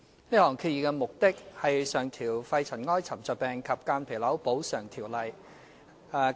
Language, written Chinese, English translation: Cantonese, 這項議案的目的是上調《肺塵埃沉着病及間皮瘤條例》......, The purpose of this motion is to increase the maximum daily rates of medical expenses under the Pneumoconiosis and Mesothelioma Compensation Ordinance PMCO